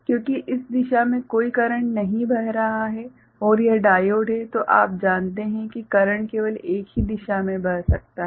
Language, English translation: Hindi, Because no current is flowing from this direction and it is diode is you know current can flow in only one direction